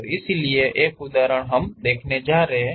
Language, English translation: Hindi, One example we are going to see